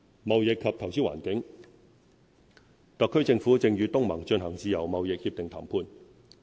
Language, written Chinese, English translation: Cantonese, 貿易及投資環境特區政府正與東盟進行自由貿易協定談判。, The HKSAR Government is negotiating a free trade agreement with the Association of Southeast Asian Nations